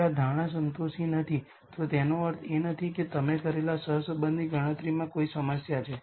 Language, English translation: Gujarati, If this assumption is not satisfied this does not mean there is any problem with the correlation calculation that you have done